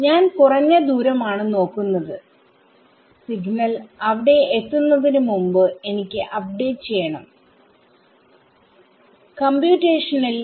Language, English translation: Malayalam, I am just looking at the shortest distance I want to do my update before the signal gets there, in computation ok